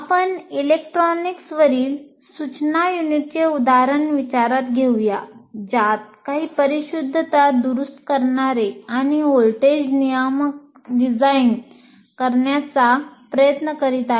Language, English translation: Marathi, Let's say electronics one you are trying to look at designing some precision rectifiers and voltage regulators